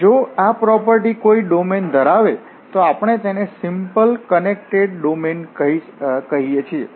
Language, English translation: Gujarati, If this is the property holds in a domain then we call this a simply connected domain